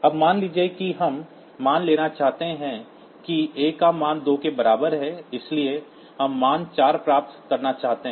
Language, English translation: Hindi, Now, suppose the value that we want to square suppose a is equal to say 2, so we want to get the value 4